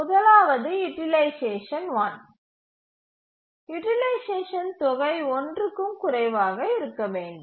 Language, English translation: Tamil, The first is that utilization bound one, the sum of utilization should be less than one